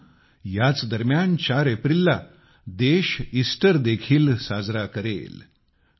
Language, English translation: Marathi, Friends, during this time on April 4, the country will also celebrate Easter